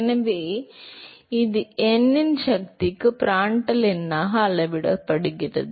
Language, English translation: Tamil, So, that is scales as Prandtl number to the power of n